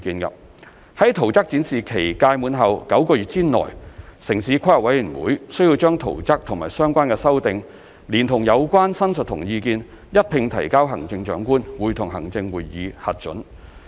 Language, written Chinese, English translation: Cantonese, 在圖則展示期屆滿後9個月內，城市規劃委員會須把圖則和相關修訂，連同有關申述和意見，一併提交行政長官會同行政會議核准。, The Town Planning Board TPB is required to submit the plans and amendments together with the representations and comments to the Chief Executive in Council for approval within nine months after the expiry of the plan exhibition period